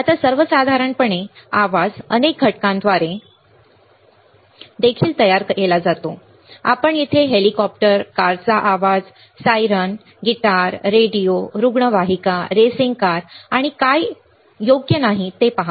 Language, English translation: Marathi, Now, in general the noise is also created by the several components, you see here chopper, noise of a car, siren right, guitar, radio, ambulance, racing car, and what not and what not right